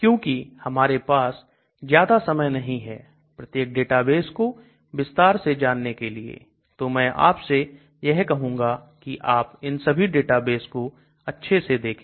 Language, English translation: Hindi, So because we will not have enough time to go through each one of the database in detail I would suggest that you people go through all these databases